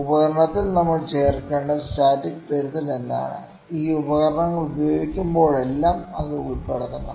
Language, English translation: Malayalam, What is the static correction that we should adds to the instrument that should be inculcated every time we use this instrument